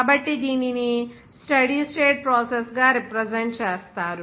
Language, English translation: Telugu, So, it is referred to as the steady state process